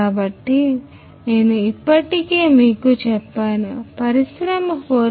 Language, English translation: Telugu, So, what I was talking about is the industry 4